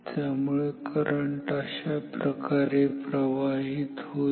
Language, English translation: Marathi, So, the current flows like this